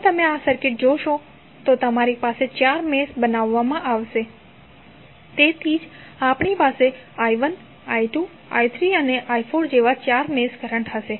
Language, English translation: Gujarati, If you see this circuit you will have four meshes created, so that is why we have four mesh currents like i 1, i 2, i 3 and i 4